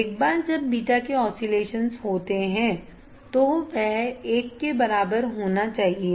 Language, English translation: Hindi, Once the oscillations is by a beta should be equal to one right